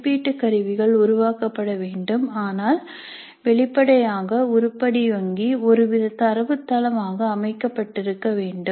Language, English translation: Tamil, In an automated way if assessment instruments are to be generated then obviously we must have the item bank organized as some kind of a database